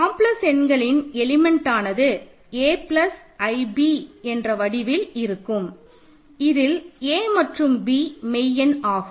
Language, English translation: Tamil, Because what is an element of complex numbers it is of the form a plus i b where a and b are real numbers